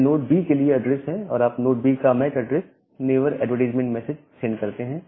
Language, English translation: Hindi, So, this is the address for node B and you send the MAC address of node B the neighbor advertisement message